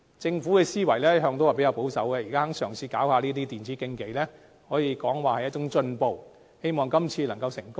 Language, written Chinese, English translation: Cantonese, 政府的思維一向較保守，現在肯嘗試舉辦電子競技，可說是一種進步，希望今次能成功。, As the Government is always conservative it is a forward - looking step for the Government to try to launch e - sports competitions at present and I hope that this can be successful